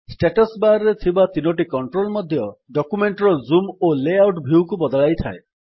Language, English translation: Odia, The three controls on the Writer Status Bar also allow to change the zoom and view layout of our document